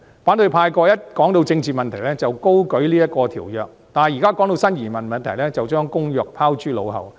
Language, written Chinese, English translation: Cantonese, 過去，每當談到政治問題，反對派便高舉這項國際公約，但現時談到新移民問題，便將《公約》拋諸腦後。, In the past whenever political issues were discussed the opposition camp would hold this international covenant up high . But in our current discussion on new arrivals they have forgotten all about it